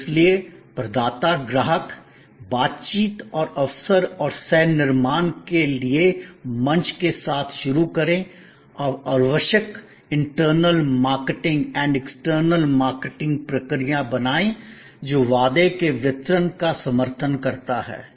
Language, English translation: Hindi, And therefore start with the provider customer interaction and opportunity and the platform for co creation and create necessary internal marketing and external marketing process that support ably that delivery of the promise